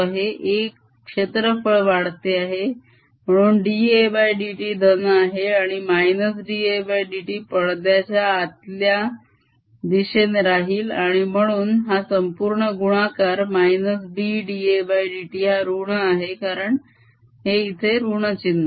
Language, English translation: Marathi, a area is increasing d a by d t is positive and minus d a by d t is pointing into the screen and therefore this entire product minus b d a by d t is negative because of this minus sign here